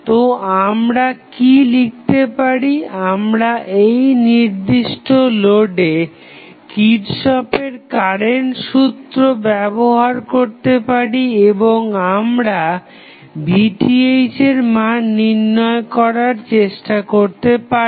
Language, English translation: Bengali, So, what we can write we can use Kirchhoff's current law at this particular node and we will try to find out the value of Vth